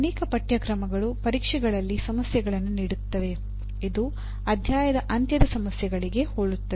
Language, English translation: Kannada, So what happens as many courses will give problems in tests and examinations which are very similar to end of chapter problems